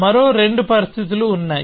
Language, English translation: Telugu, There are two more conditions